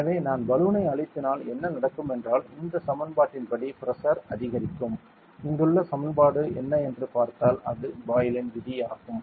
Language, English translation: Tamil, So, if I compress the balloon what happens is the pressure will build up according to which equation; the equation over here that we have seen which one that sees it is the Boyle’s law